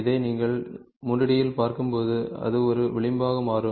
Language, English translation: Tamil, So, this when you look from 3 D prospective it becomes an edge